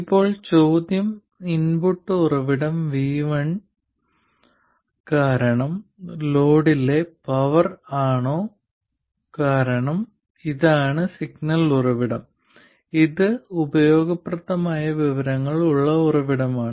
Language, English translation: Malayalam, Now the question is if the power in the load due to the input source VI because this is the signal source, this is the source that has useful information